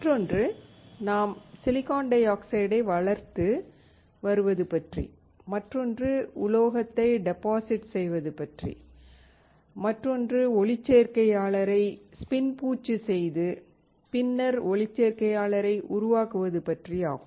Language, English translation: Tamil, Another one is, we are growing silicon dioxide, another one is depositing metal, another one is spin coating the photoresist and then developing the photoresist